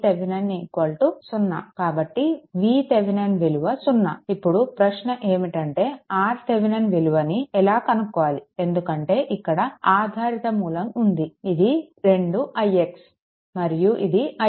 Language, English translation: Telugu, V V So, now, question is that V Thevenin is 0, but you can find out R Thevenin, because dependent source is there this is 2 i x and this is i x